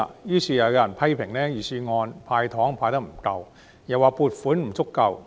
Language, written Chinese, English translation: Cantonese, 於是，又有人批評預算案"派糖"派得不夠，又指撥款不足夠。, As such some people have again criticized the Budget for failing to hand out candies sufficiently and allocate adequate funding